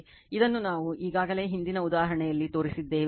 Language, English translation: Kannada, This already we have shown it previous example